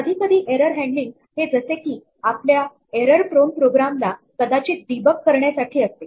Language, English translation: Marathi, Sometimes the error handling might just be debugging our error prone program